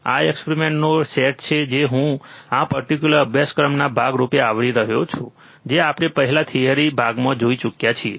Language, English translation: Gujarati, These are the set of experiments that I am covering as a part of this particular course which we have already seen in theory part